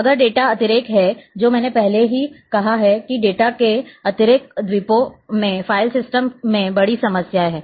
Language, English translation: Hindi, Now, there is a data redundancy I have already discussed, that data redundancy islands of information is the big problem in file system